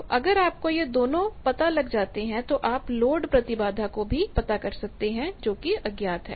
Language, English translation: Hindi, So, if you know these 2 you can find out the load impedance which is unknown